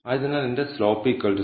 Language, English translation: Malayalam, Since, my slope is equal to 0